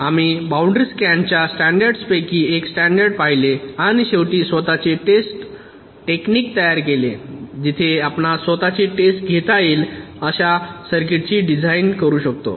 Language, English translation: Marathi, we looked at one of the standards, the boundary scan standards, and finally built in self test technique where we can design a circuit such that it can test itself